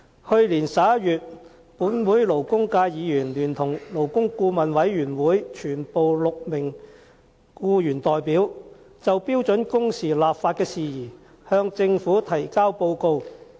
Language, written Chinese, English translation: Cantonese, 去年11月，本會勞工界議員聯同勞工顧問委員會全部6名僱員代表就標準工時立法事宜向政府提交報告。, In November last year the Members of this Council from the labour sector and all the six employee representatives in the Labour Advisory Board submitted to the Government a report on legislating for standard working hours SWH